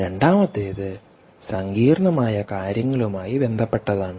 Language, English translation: Malayalam, the second one is all to do with complicated